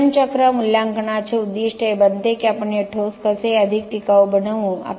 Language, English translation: Marathi, The goal then of life cycle assessment becomes how do we make this concrete more sustainable